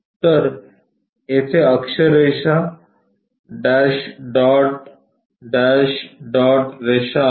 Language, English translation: Marathi, So, there is an axis line dash, dot, dash, dot lines